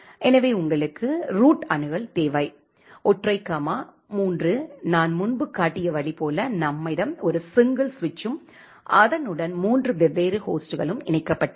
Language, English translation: Tamil, So, that is you require the root access, single comma 3 the way I have shown you earlier like we have a single switch with three different hosts connected to that switch